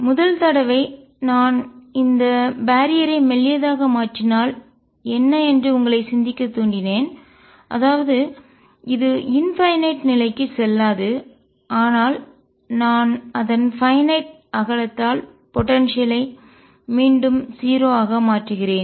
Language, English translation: Tamil, The first case I also motivated you to think that if I make this barrier thin; that means, it does not go all the way to infinity, but I make it of finite width and potentiality become 0 again